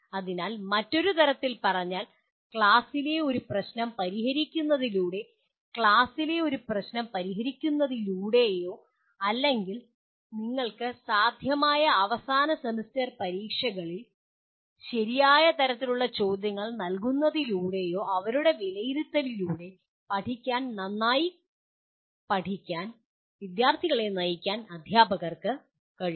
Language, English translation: Malayalam, So putting it in another way, teachers can guide students to learn through their assessment by working out a problem in the class or making them work out a problem in the class or giving the right kind of questions in the end semester exams you are able to guide the students to learn well